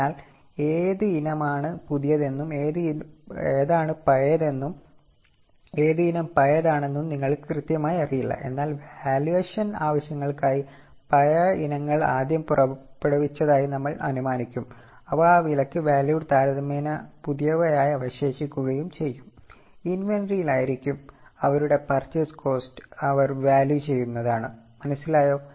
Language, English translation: Malayalam, So, you exactly don't know which item is newer and which item is older but for valuation purposes we will assume that the older items are issued out first, they will be valued at that cost and the remaining items which are comparatively new will remain in the inventory and they will be valued at their purchase costs